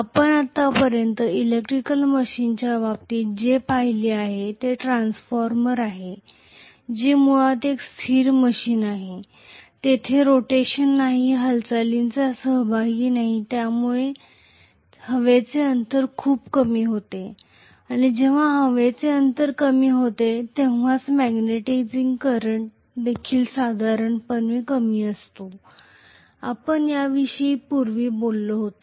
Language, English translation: Marathi, So far what we have seen in terms of electrical machines is transformer which is basically a static machine, there is no rotation, there is no movement involved and that is the reason why the air gap was very very less and when the air gap is less the magnetizing current is also normally less, that is what we talked about earlier